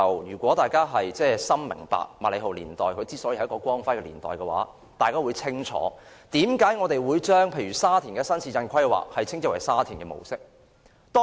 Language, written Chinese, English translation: Cantonese, 如果大家認同麥理浩年代是香港的光輝年代，大家便會清楚為何我們會將沙田的新市鎮規劃稱之為沙田模式。, If we agree that the MACLEHOSE era is the glorious era of Hong Kong we will well understand why we refer the planning of the new town in Sha Tin as the Sha Tin model